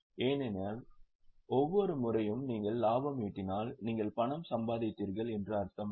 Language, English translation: Tamil, Because every time you have made profit does not mean you have made cash